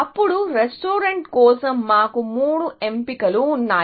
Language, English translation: Telugu, Then, we have the three choices for the restaurant